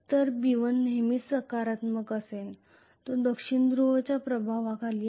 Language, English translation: Marathi, So B1 will always be positive which is under the influence of South Pole